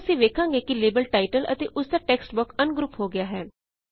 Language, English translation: Punjabi, Now we see that the label title and its text box have been ungrouped